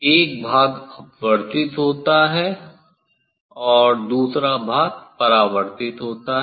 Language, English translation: Hindi, one part is refracted, and another part is reflected